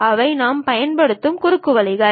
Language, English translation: Tamil, These are the kind of shortcuts what we use